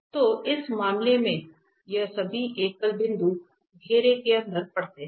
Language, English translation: Hindi, So, in this case all these singular points are lying inside the circles